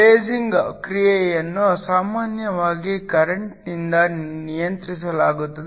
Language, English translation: Kannada, Lasing action is usually controlled by the current